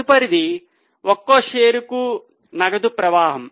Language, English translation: Telugu, Next is cash flow per share